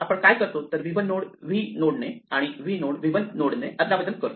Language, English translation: Marathi, So, what we do is we replace v 1 by v and v by v 1